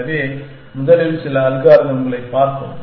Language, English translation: Tamil, So, let us first look at some algorithm